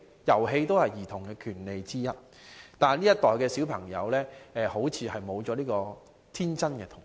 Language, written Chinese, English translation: Cantonese, 遊戲也是兒童的權利之一，但這一代小孩子似乎沒有了天真的童年。, Playing is also one the rights of children . However children of this generation appear to have been deprived of an innocent childhood